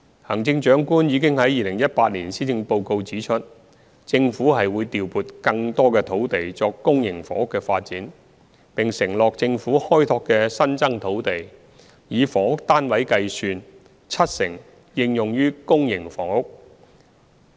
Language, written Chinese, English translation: Cantonese, 行政長官已於2018年施政報告指出，政府會調撥更多土地作公營房屋發展，並承諾政府開拓的新增土地，以房屋單位計算，七成應用於公營房屋。, As pointed out by the Chief Executive in the 2018 Policy Address the Government would allocate more land for public housing development and has committed that 70 % of the housing units on Governments newly developed land would be for public housing